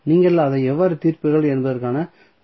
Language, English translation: Tamil, So, I will just give you the clue that how you will solve it